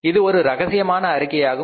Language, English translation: Tamil, It is a very very confidential document